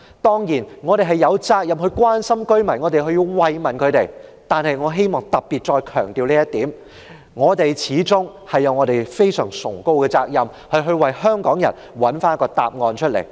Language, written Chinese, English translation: Cantonese, 當然，我們有責任關心居民，有責任慰問他們，但是，我希望再強調，我們有另一個非常崇高的責任，就是為香港人找出答案。, We are certainly concerned about the residents and duty - bound to extend sympathy to them . However I wish to emphasize once again that we do have another noble duty and that is to find out the truth for Hong Kong people